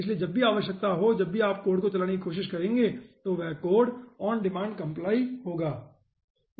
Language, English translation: Hindi, so wherever require, whenever you will be trying the run the code, it will be compiling the code on demand